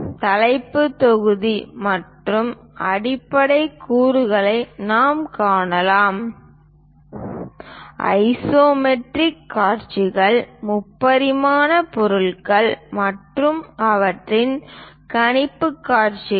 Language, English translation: Tamil, we can see the title block and the basic components we can see the isometric views, the three dimensional objects and their projectional views we can see it